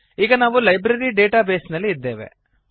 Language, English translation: Kannada, And open our Library database